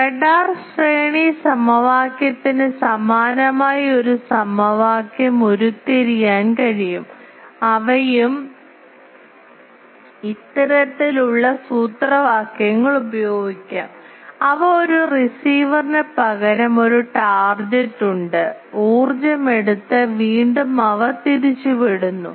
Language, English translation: Malayalam, A similar equation can be derived for radar range equation they are also this type of formulas can be used, that only thing they are is instead of a receiver there is a target which takes the energy and scatters back